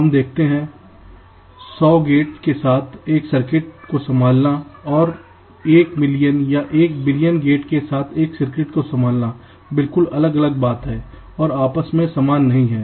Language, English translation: Hindi, you see, ah, handling a circuit with hundred gates and handling a circuit with one million or one billion gates is, of course, not the same